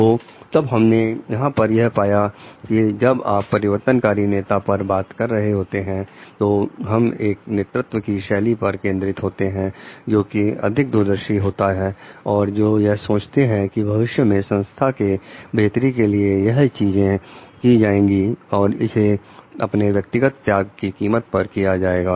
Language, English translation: Hindi, So, when what we find over here is like when you are discussing on transformational leaders we are focusing on a leadership style, which is like a more visionary who thinks of the future do things for the betterment of the organization even at the cost of personal sacrifices